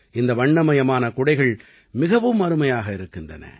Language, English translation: Tamil, These colourful umbrellas are strikingly splendid